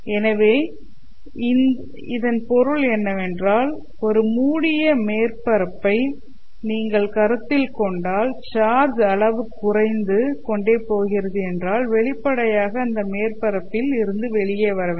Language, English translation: Tamil, So it means that in a closed loop, you know, if you consider a closed surface, in this surface if the amount of charge is getting reduced, then obviously those charges must be coming out of the surface